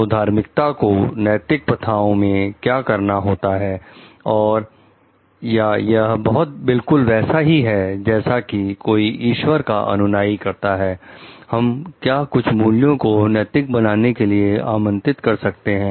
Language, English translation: Hindi, So, what does religiosity has to do with ethical practices and like is it if someone has to be a follower of certain like maybe god so that, we can invite certain values to become ethical